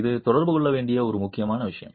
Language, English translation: Tamil, This is an important point that needs to be communicated